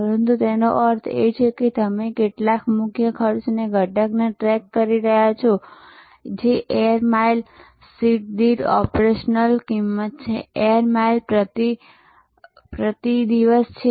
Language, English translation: Gujarati, But, would which it means is that suppose you are tracking some a key cost element which is operational cost per air mile seat, air mile per day now there